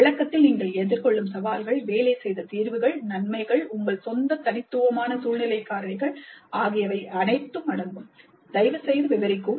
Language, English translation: Tamil, And the description may include the challenges faced, the solutions that work, the advantages, your own unique situational factors